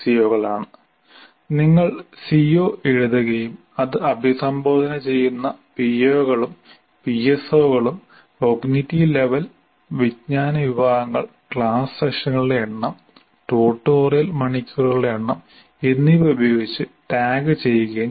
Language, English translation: Malayalam, So you write the C O and then the P O's and PSOs addressed and then cognitive level, knowledge categories and class sessions and number of tutorial hours